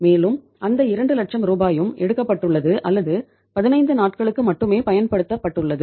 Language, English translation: Tamil, And that 2 lakh rupees have also been withdrawn or used only for a period of 15 days